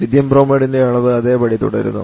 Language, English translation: Malayalam, The amount of Lithium Bromide that remains same is not it